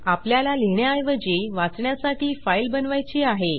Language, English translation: Marathi, You just have to create a file for writing instead of reading